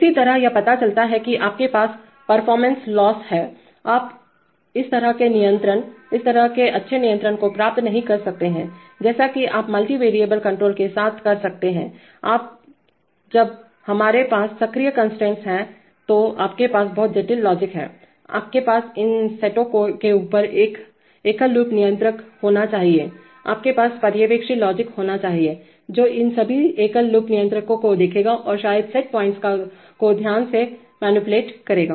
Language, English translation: Hindi, Similarly it turns out that you have performance loss, you cannot achieve such control, such good control, as you can with multi variable control and when we have active constraints then you have, you have very complicated logic, you must have above these set of single loop controllers, you must have supervisory logic which will look at all these single loop controllers and probably carefully manipulate the set points